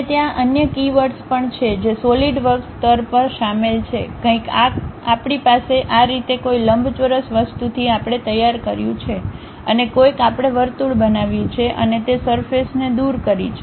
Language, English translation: Gujarati, And there are other keywords also involved at Solidworks level, something like we have this object somehow we have prepared from rectangular thing, and somehow we have created a circle and remove that surface